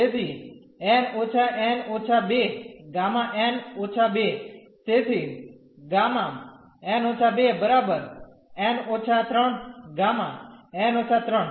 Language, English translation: Gujarati, So, n minus n minus 2 gamma n minus 2; so, n minus 2 then here n minus 3 gamma n minus 3